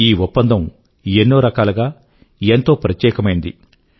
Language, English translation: Telugu, This agreement is special for many reasons